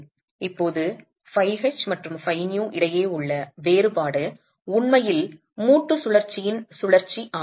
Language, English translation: Tamil, Now the difference between phi h and phi v is really the rotation of the rotation of the joint itself